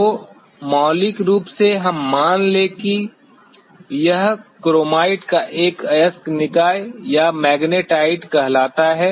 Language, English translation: Hindi, So, fundamentally let us consider that this happens to be an ore body of chromite or say magnetite